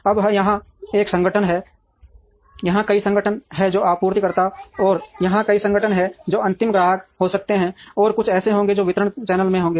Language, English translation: Hindi, Now, there is one organization here, there are many organizations here who are the suppliers, and there are many organizations here who may the final customers, and there would be few who would be in the distribution channel